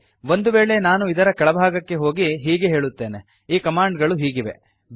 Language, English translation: Kannada, Suppose I go to the bottom of this, and say, the command is as follows